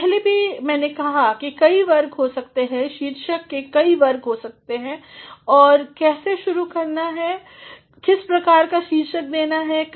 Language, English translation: Hindi, Earlier also I have said that there can be different categories of titles, there can be different categories as to how to begin and what sort of title to give